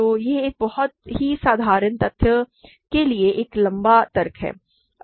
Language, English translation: Hindi, So, that is all it is a long argument for a very simple fact